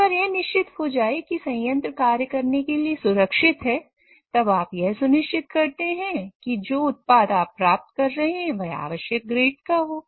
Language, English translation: Hindi, Once you ensure that the plant is safe to operate, you try to make sure that the product which you are getting out is of required grade